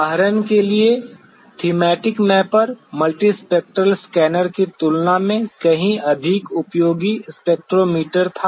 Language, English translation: Hindi, For example; the Thematic Mapper was a far more useful spectrometer than multispectral scanner